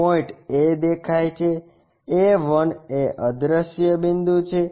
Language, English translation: Gujarati, Point A is visible A 1 is invisible point